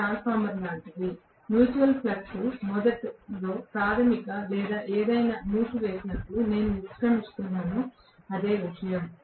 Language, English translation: Telugu, It is the same thing like transformer, the mutual flux is established initially by the primary or whichever winding I am exiting it is the same thing